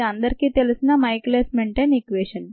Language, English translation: Telugu, this is the well known michaelis menten equation